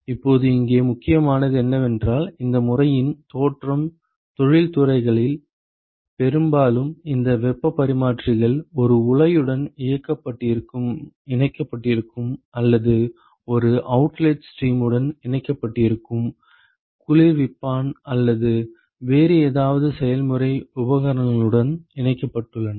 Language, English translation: Tamil, Now, what is important here is that the genesis of this method is based on the fact that in industries often these heat exchangers are connected to a reactor or connected to an outlet stream, connected to a chiller or something some other process equipment